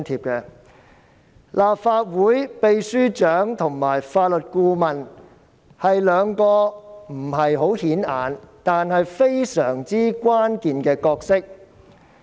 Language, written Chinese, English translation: Cantonese, 雖然立法會秘書處秘書長及法律顧問是兩個不太顯眼的職位，但他們擔當着非常關鍵的角色。, Although the posts of Secretary General and Legal Adviser of the Legislative Council Secretariat are not very prominent the post holders are playing very critical roles